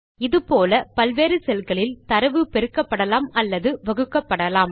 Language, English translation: Tamil, Similarly, one can divide and multiply data in different cells